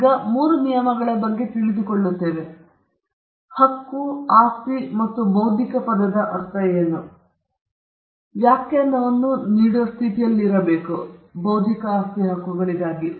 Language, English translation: Kannada, Now, that we have understanding of these three terms what rights are, what property is, and what we mean by the term intellectual, we should be in a position to move forward and give a definition for intellectual property rights